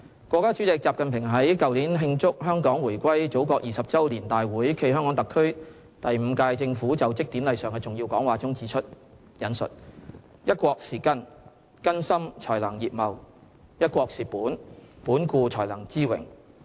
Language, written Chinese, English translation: Cantonese, 國家主席習近平在去年慶祝香港回歸祖國20周年大會暨香港特區第五屆政府就職典禮上的重要講話中指出："'一國'是根，根深才能葉茂；'一國'是本，本固才能枝榮。, In his keynote address delivered at the Meeting Celebrating the 20 Anniversary of Hong Kongs Return to the Motherland and the Inaugural Ceremony of the Fifth - term Government of the HKSAR President XI Jinping said One country is like the roots of a tree . For a tree to grow tall and luxuriant its roots must run deep and strong